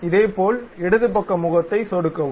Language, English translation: Tamil, Similarly, click the left side face